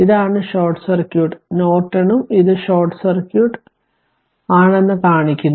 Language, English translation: Malayalam, And this is your short circuit Norton also shown that this is short circuit